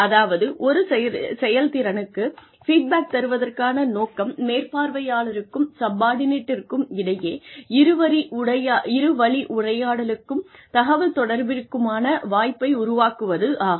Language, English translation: Tamil, Purpose of feedback on performance is to provide, an opportunity for communication, for a two way dialogue between, the supervisor and the subordinate